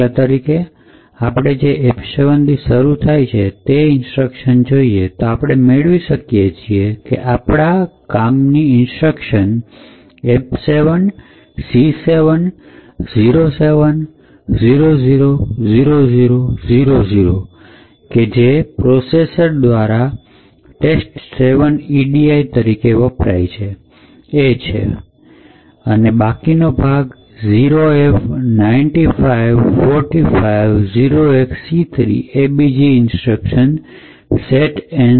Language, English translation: Gujarati, So for example suppose we start interpreting these byte values starting from F7 then we can find a useful instruction F7, C7, 07, 00, 00, 00 which gets interpreted by the processor as test 7 edi, the remaining part 0f, 95, 45, c3 gets interpreted by to an other instruction setnzb